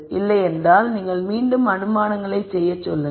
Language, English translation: Tamil, If not you go back again to making assumptions